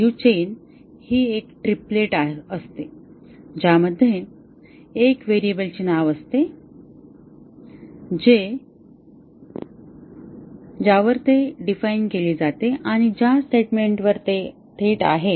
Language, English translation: Marathi, A DU chain is a triplet consisting of the name of a variable the statement at which it is defined and the statement at which it is live